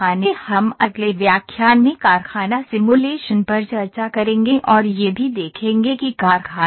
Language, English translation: Hindi, We will discuss the factory simulations in the next lecture and also we will see what is the factory